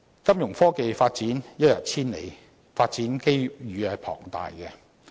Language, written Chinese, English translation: Cantonese, 金融科技發展一日千里，發展機遇龐大。, The galloping advancement of financial technology Fintech unleashes huge development potential